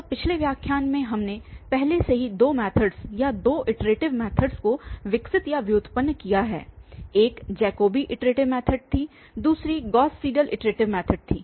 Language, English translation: Hindi, So, in the last lecture we have already developed or derived two methods or two iterative methods, one was the Jacobi iteration method, another one was Gauss Seidel iteration method